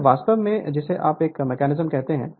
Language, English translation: Hindi, So, this is actually what you call this mechanism